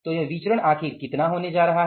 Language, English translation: Hindi, So, what is this variance going to be finally